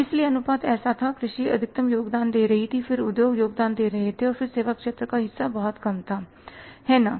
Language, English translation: Hindi, So, the ratio was like the agriculture was contributing maximum than industry was contributing and services sector share was very, very low